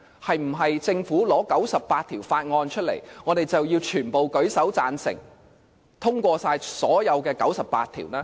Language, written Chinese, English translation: Cantonese, 是否政府提交98項法案，我們便要全部舉手贊成通過所有98項法案？, Do they wish to see that when the Government submits 98 bills Members simply raise their hands and pass all the 98 bills?